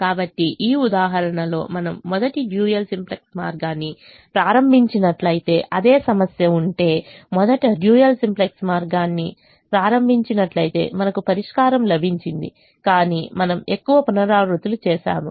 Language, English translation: Telugu, so if the same problem, if we had started the dual simplex way first in this example, if we started the dual simplex way first, we got the solution, but we did more iterations when we did a simple way